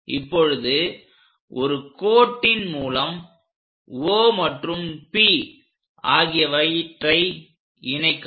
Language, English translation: Tamil, Now, join O and P